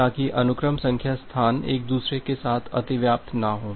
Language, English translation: Hindi, So, that the sequence number space does not get overlapped with each other